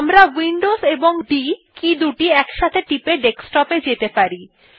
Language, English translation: Bengali, We can go to the Desktop also by pressing Windows key and D simultaneously